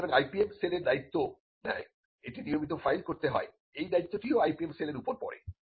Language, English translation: Bengali, So, the IPM cell also takes care of that, it has to be regularly filed, so that responsibility falls on the IPM cell as well